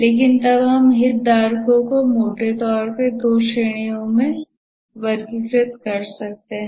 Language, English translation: Hindi, But then we can roughly categorize the stakeholders into two categories